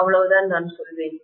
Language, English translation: Tamil, That is all I would say